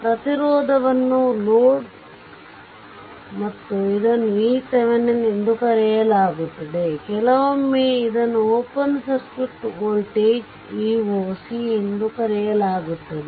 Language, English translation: Kannada, Load resistance whatever it is right and this is called v Thevenin; sometimes it is called open circuit voltage also v oc later we will see sometime v Thevenin we call v oc right